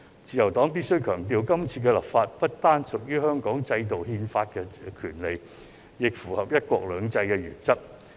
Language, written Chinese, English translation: Cantonese, 自由黨必須強調，今次立法不單是屬於香港制度憲法的權利，亦符合"一國兩制"的原則。, The Liberal Party must stress that the legislative exercise is not only a constitutional right under the systems in Hong Kong but also consistent with the principle of one country two systems